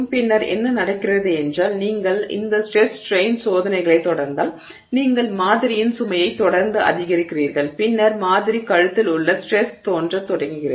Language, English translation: Tamil, Then what happens is if you continue this stress strain you know experiment and you continue to increase the load on the sample and therefore the stress on the sample a neck begins to appear